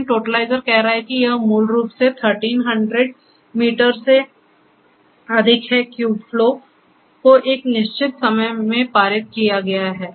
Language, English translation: Hindi, But the totalizer is saying that it is, it has been basically over 1300 meter cube flow has been passed through in a given span of time